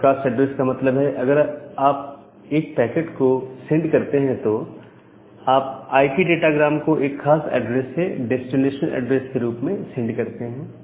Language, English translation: Hindi, So, a broadcast address means if you send the packet, send the IP datagram with that particular address as the destination address